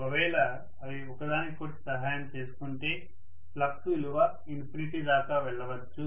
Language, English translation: Telugu, If they aid each other, the flux could have really gone to infinity